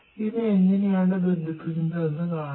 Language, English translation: Malayalam, Now, we are going to show you what, how we are going to connect it